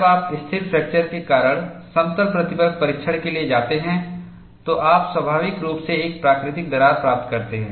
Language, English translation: Hindi, When you go for plane stress testing, because of stable fracture, you invariably get a natural crack